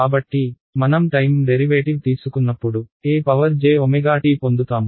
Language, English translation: Telugu, So, when I take the time derivative of e to the j omega t what do I get